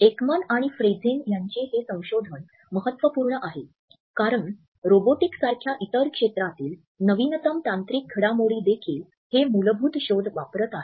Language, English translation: Marathi, This is a very significant research by Ekman and Friesen, because we find that the latest technological developments in the area of robotics etcetera are also using this basic finding by Ekman and Friesen